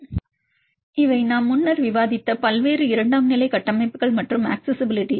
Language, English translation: Tamil, So, these are the various secondary structures and accessibility that we discussed earlier